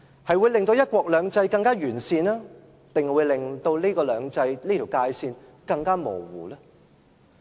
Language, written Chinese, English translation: Cantonese, 它會令"一國兩制"更完善，還是令"兩制"這條界線更模糊呢？, Will it strengthen one country two systems or will it blur further the dividing line between the systems?